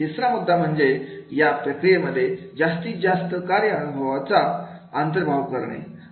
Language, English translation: Marathi, Third point is bring more work related experiences into the process